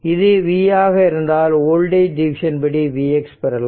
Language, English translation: Tamil, Suppose if this voltage is v right then voltage division this is v x